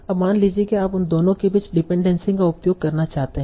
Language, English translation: Hindi, Now suppose you want to use the dependency between them